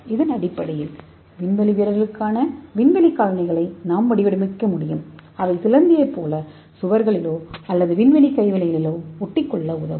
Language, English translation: Tamil, so based on that we can have a space shoes for astronauts so that will help them to stick to the walls or space craft like a spider